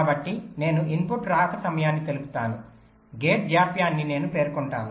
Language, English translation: Telugu, so i specify the input arrival times, i specify the gate delays, i specify the wire delays